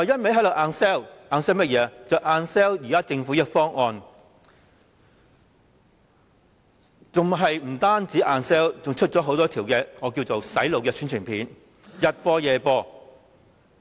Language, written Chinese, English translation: Cantonese, 便是硬銷現時的政府方案，不僅是硬銷，還推出很多我稱之為"洗腦"的宣傳片，早晚播放。, The Governments co - location arrangement . Apart from hard selling it also keeps broadcasting some publicity films which I will describe as brain - washing